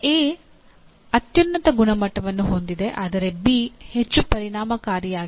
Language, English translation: Kannada, A has the highest quality but B is more effective